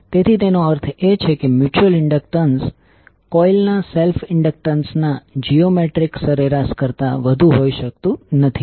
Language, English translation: Gujarati, So that means the mutual inductance cannot be greater than the geometric mean of the self inductances of the coil